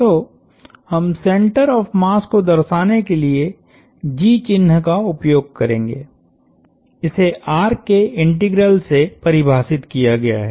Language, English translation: Hindi, So, the center of mass, we will use the symbol G to denote the center of mass is defined in such a fashion that the integral of r